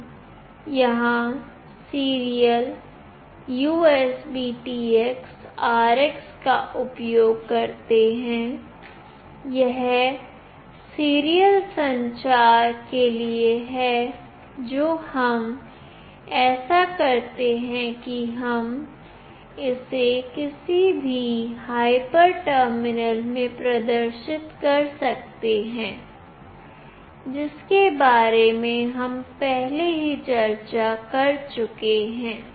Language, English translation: Hindi, We use here serial USBTX RX, this is for serial communication that we do such that we can display it in the any of the hyper terminal, which we have already discussed